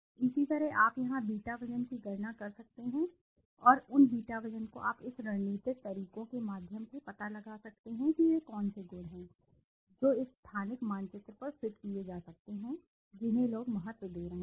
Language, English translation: Hindi, Similarly you can calculate the beta weight here and those beta weight you can find out through this strategical methods what are the attributes which are/could be fitted on to this same spatial map which people are giving importance to